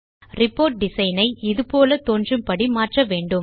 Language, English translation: Tamil, We will modify our report design to look like this